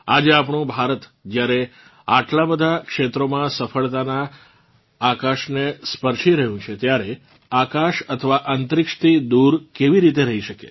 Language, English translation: Gujarati, Today, when our India is touching the sky of success in so many fields, how can the skies, or space, remain untouched by it